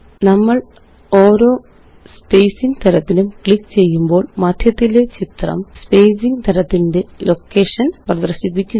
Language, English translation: Malayalam, As we click on each spacing type, the image in the centre shows the location of the spacing type